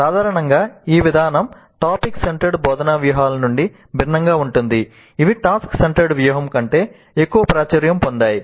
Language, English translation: Telugu, This is different in general, this approach is different from topic centered instructional strategies which is probably more popular than task centered strategy